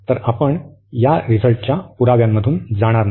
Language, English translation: Marathi, So, we will not go through the proof of this result